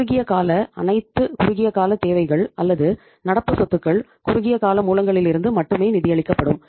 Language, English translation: Tamil, The short term, all short term needs or current assets fully will be financed from the short term sources only